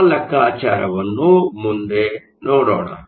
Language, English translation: Kannada, Let us look at that calculation next